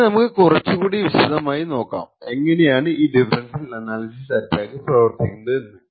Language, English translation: Malayalam, So, we will look at more in details about how this differential power analysis attack actually works